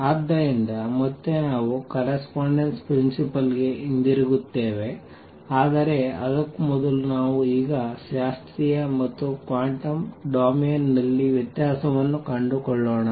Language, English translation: Kannada, So, again we will be going back to the correspondence principle, but before that let us now look for the time being differentiation in classical and quantum domain